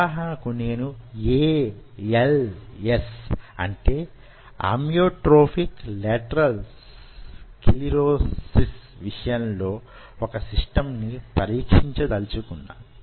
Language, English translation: Telugu, say, for example, i wanted to test a system for als amyotrophic lateral sclerosis